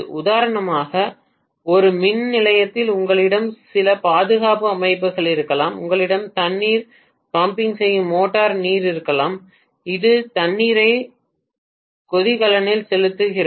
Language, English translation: Tamil, For example in a power station you may have some protection systems, you may have water pumping motor water which is pumping the water into the boiler